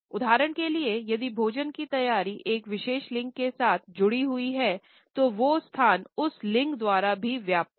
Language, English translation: Hindi, For example, if the preparation of food is linked with a particular gender the space is also occupied by that gender only